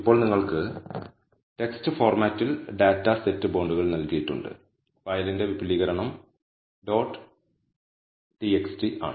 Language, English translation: Malayalam, Now you have been given the data set bonds in the text format, the extension of the file is dot \txt"